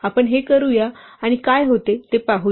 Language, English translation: Marathi, Let us do this and see what happens to that right